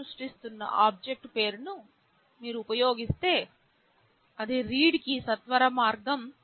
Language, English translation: Telugu, If you just use the name of the object you are creating, that is a shortcut for read